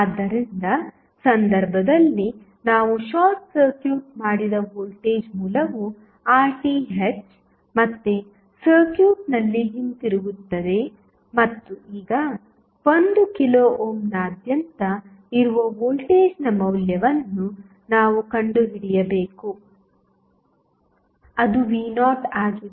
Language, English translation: Kannada, So, will the voltage source, which we short circuited in case of Rth will come back in the circuit again and now, we have to find out the value of the voltage which is across 1 kilo ohm that is V naught